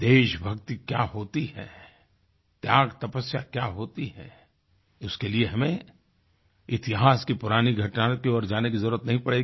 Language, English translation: Hindi, To understand the virtues of patriotism, sacrifice and perseverance, one doesn't need to revert to historical events